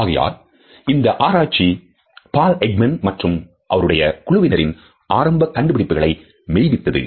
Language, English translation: Tamil, So, these studies validate the initial suggestions and findings by Paul Ekman and his group